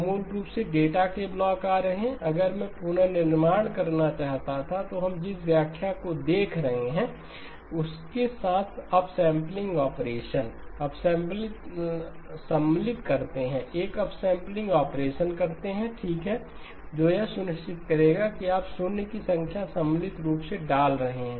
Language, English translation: Hindi, So basically blocks of data are coming in, if I wanted to reconstruct then the upsampling operation with the interpretation that we are looking at, you insert, do an upsampling operation okay that will make sure that you are inserting the number of zeros appropriately